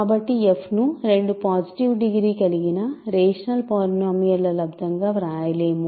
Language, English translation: Telugu, So, f cannot be written as a product of two positive degree rational polynomials